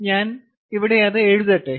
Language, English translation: Malayalam, let us write it here